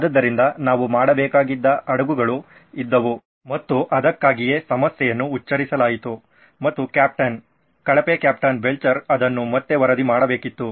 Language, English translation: Kannada, So we could have done that is why the ships were and that is why the problem was pronounced and captain, poor captain Belcher had to report it back